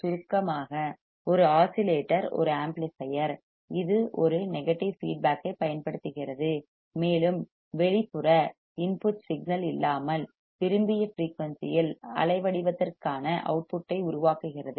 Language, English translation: Tamil, In short, an oscillator is an amplifier, which uses a positive feedback, and without an external input signal, generates an output for waveform at a desired frequency